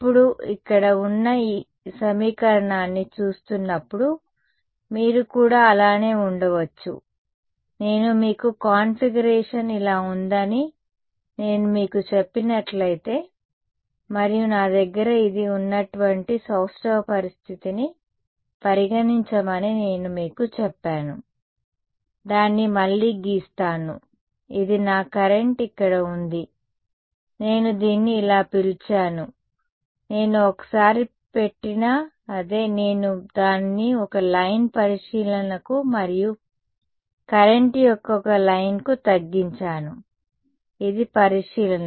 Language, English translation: Telugu, Now looking at this equation over here you may as well I mean if I did not tell you that the configuration was like this and I told you consider a symmetric situation like this where I have this; let me draw it again right this was my current over here, supposing I called it like this, it’s the same right whether I put the once, I have got it down to one line of observation and one line of current right this is the observation and this is the source